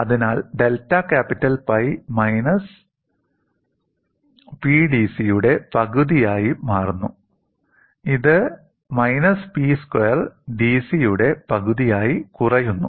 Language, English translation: Malayalam, So, delta capital pi becomes minus one half of P P d C which reduces to minus one half of P square d C